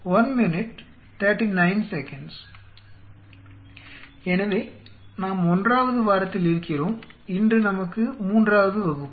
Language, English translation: Tamil, So, we are into Week 1 and today is our class 3